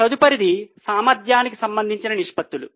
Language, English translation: Telugu, The next one are the efficiency related ratios